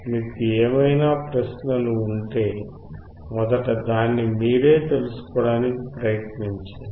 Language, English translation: Telugu, If you have any questions, first try to find it out yourself